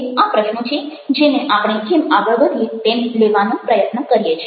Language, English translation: Gujarati, these are questions we are trying address as we proceed